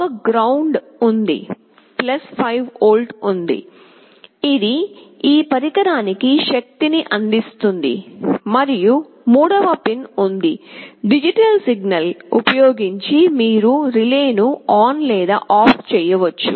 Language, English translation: Telugu, You see there is a GND there is a +5 volt, which provides the power to this device and there is a third pin, a digital signal using which you can switch on or OFF the relay